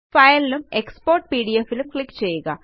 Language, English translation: Malayalam, Click on File and Export as PDF